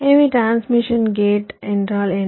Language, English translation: Tamil, so what is a transmission gate